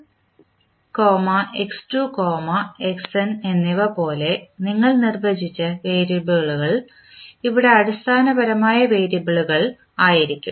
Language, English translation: Malayalam, Here if you see the variable which you have defined like x1, x2, xn are the basically the variable